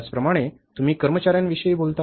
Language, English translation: Marathi, Similarly, you talk about the employees